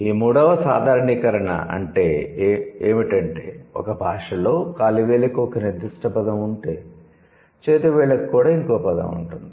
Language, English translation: Telugu, The fourth generalization is, if a language has a word for food, then it also has a word for hand